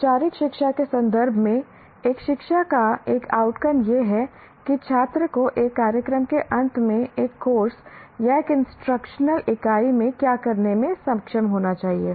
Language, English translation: Hindi, In the context of formal education, an outcome of an education is what the student should be able to do at the end of a program, a course, or an instructional unit